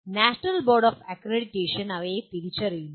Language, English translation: Malayalam, And they are identified by the National Board of Accreditation